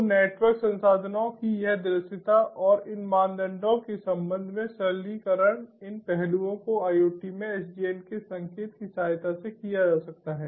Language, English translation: Hindi, so this visibility of network resources and the simplification with respect to these criteria, these aspects, they can be done with the help of indication of sdn in iot